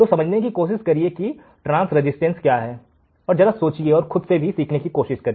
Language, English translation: Hindi, So, understand what is transresistance, understand something, try to learn by yourself as well